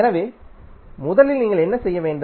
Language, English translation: Tamil, So, first what you have to do